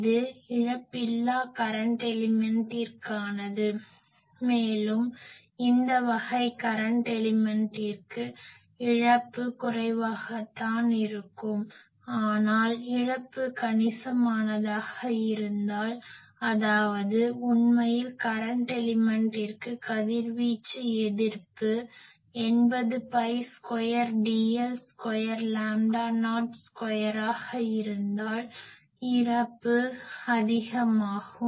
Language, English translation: Tamil, So, this is for a lossless current element and; obviously, the losses for a this type of current element is quite small, but if it loss is sizable; that means, if actually for current element the radiation resistance, this 80 pi square dl square by lambda not square is also very high